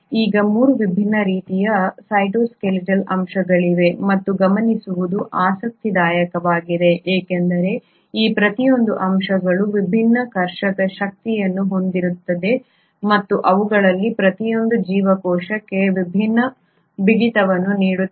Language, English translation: Kannada, Now there are 3 different kinds of cytoskeletal elements, and that is interesting to note because each of these elements have different tensile strength and each of them will provide a different rigidity to the cell